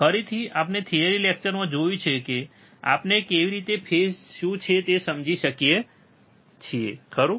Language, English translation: Gujarati, Again, we have seen in the theory class how we can understand what are the phases, right